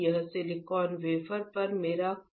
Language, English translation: Hindi, This is my chrome gold on silicon wafer